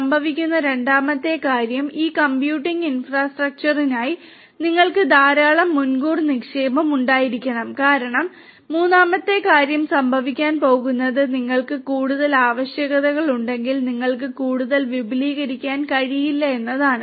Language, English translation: Malayalam, Second thing that will happen is you have to have lot of upfront investment for this computing infrastructure, as a third thing that is going to happen is that if you have further requirements you cannot expand further